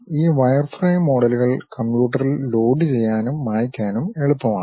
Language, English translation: Malayalam, These wireframe models are easy to load it on computer and clear the memory also